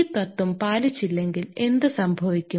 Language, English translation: Malayalam, If this principle were not followed then what will happen